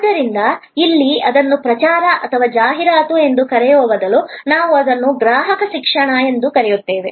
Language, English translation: Kannada, So, here actually instead of calling it promotion or advertising, we call it customer education